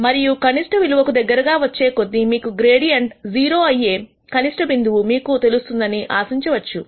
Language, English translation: Telugu, And you would expect that because as you get closer and closer to the optimum you know that the optimum point is where the gradient goes to 0